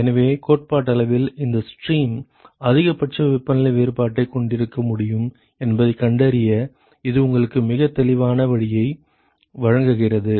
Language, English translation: Tamil, So, that gives you a very clear way to find out which stream is theoretically possible to have maximal temperature difference